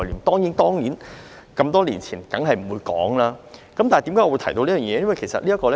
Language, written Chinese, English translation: Cantonese, 當然，那麼多年前的法例一定不會提到，但為何我會提到這方面呢？, Ordinances enacted a long time ago certainly would not mention virtual currency . Then why do I have to bring this up?